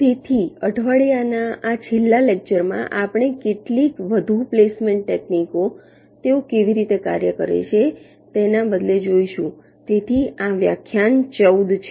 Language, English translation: Gujarati, so in this last lecture of the week we shall be looking at some more placement techniques instead of how they work